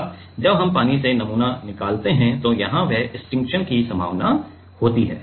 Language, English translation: Hindi, Now, while we take out the sample from the water there is this possibility of stiction